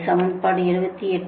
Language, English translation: Tamil, this is equation seventy eight